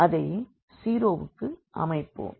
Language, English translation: Tamil, And, we will now set it to 0